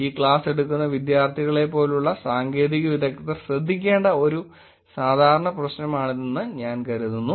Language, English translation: Malayalam, I think it is typical problem that technologists like students who are taking this class should probably look at